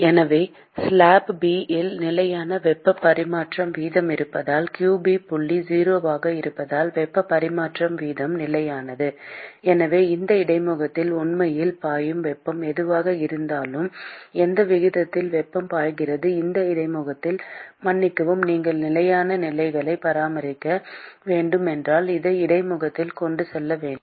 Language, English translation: Tamil, So, because there is constant heat transfer rate in slab B because qB dot is 0, the heat transfer rate is constant therefore, whatever heat that is actually flowing at this interface whatever rate at which heat is being flowing from at this interface, excuse me, should be transported at this interface, if you have to maintain steady state conditions